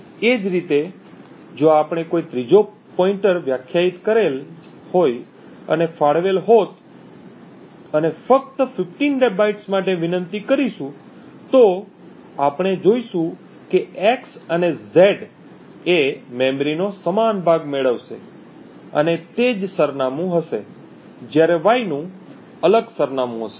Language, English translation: Gujarati, Similarly if we would have had a third pointer defined and allocated it and requested for just let us say 15 bytes again, we would see that x and z would get the same chunk of memory and would have the same address while y would have a different address